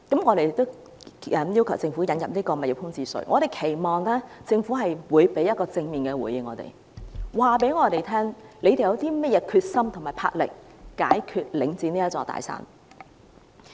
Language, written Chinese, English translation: Cantonese, 我們要求政府引入物業空置稅，期望政府會給予正面的回應，告訴我們政府有甚麼決心和魄力去解決領展這座"大山"。, We demand that the Government introduce a vacant property tax and hope that it will give us a positive response telling us what determination and courage it has to overcome this big mountain Link REIT